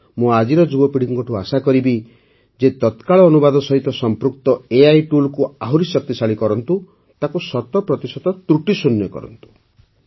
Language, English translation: Odia, I would urge today's young generation to further explore AI tools related to Real Time Translation and make them 100% fool proof